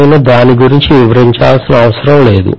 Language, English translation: Telugu, I do not think I need to elaborate on that